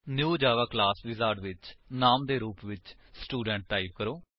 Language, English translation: Punjabi, In the New Java Class wizard, type the Name as Student